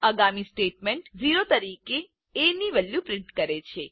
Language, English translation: Gujarati, The next statement prints as value as o